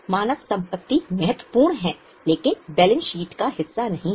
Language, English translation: Hindi, Human assets are important but not part of balance sheet